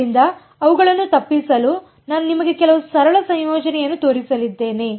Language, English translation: Kannada, So, to avoid those, I am going to show you some very simple integrations